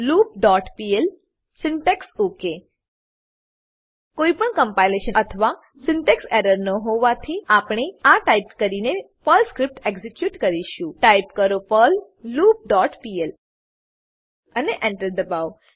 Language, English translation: Gujarati, The following line will be displayed on the terminal whileLoop.pl syntax OK As there is no compilation or syntax error, we will execute the Perl script by typing perl whileLoop dot pl and press Enter The following output will be displayed on the terminal